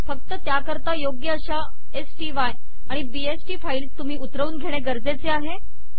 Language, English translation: Marathi, One only needs to download the appropriate sty and bst files